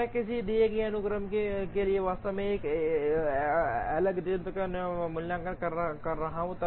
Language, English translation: Hindi, When I am actually evaluating L max for a given sequence